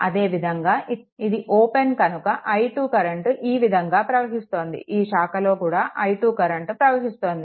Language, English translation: Telugu, Similarly this is open so, i 2 is flowing that means, this branch also i 2 current is flowing right